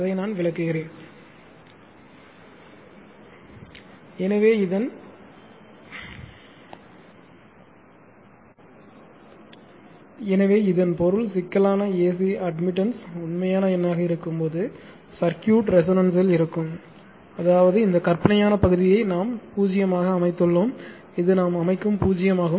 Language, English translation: Tamil, So, this this means; that means, circuit is at resonance when the complex admittance is a real number; that means, this one thisthis one this imaginary part we set it to 0 this one we set is to 0